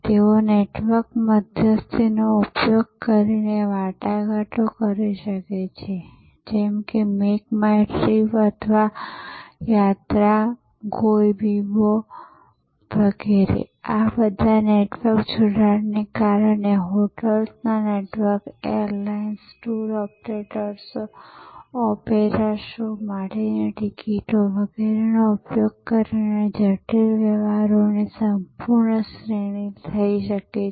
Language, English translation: Gujarati, They can negotiate using a network intermediary like make my trip or Yatra and so on, Goibibo so many of them and using the connections of this network, networks of hotels, airlines, tour operators, tickets for opera shows and so on